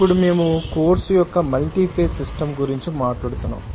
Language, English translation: Telugu, Now, as we are talking about that multi phase system of course